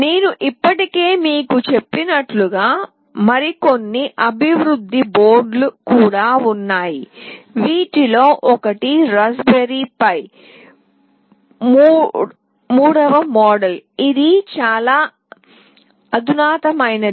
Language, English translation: Telugu, As I have already told you there are some other development boards as well, one of which is Raspberry Pi 3 model that is much more sophisticated